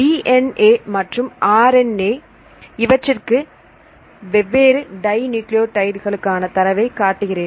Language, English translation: Tamil, So, here I show the data for the different dinucleotides though here this I use give the data for both the DNA and RNA